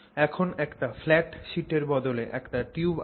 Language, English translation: Bengali, So instead of a flat sheet you now have a tube